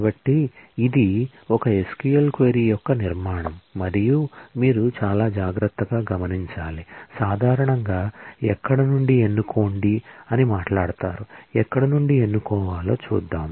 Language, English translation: Telugu, So, the structure of an SQL query and this you should observe very carefully is normally said to be, select from where colloquially will often say, let us have a select from where